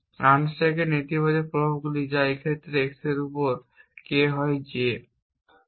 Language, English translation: Bengali, The negative effects of unstack that ex so on by in this case x is K on y is J